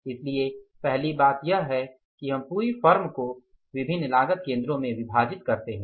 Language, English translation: Hindi, So, for that first thing is you divide the whole firm into the different cost centers